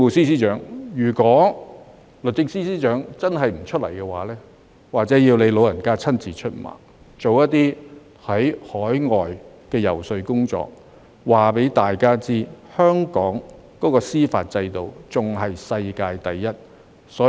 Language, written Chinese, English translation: Cantonese, 所以，如果律政司司長真的不出來，或許要由政務司司長親自出馬，到海外進行遊說工作，告訴大家香港的司法制度仍是世界第一。, Hence if the Secretary for Justice does not come forward perhaps the Chief Secretary for Administration has to undertake the task himself by travelling abroad to do the lobbying job and tell people that the judicial system of Hong Kong is still the best in the world